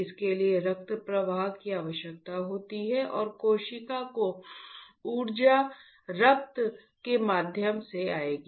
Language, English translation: Hindi, It requires blood flow and the energy to the cell will come through the blood